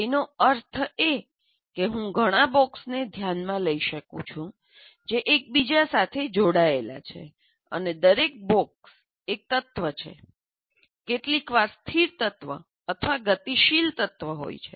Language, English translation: Gujarati, That means I can consider several boxes which are interconnected and each box is an element, sometimes a static element or a dynamic element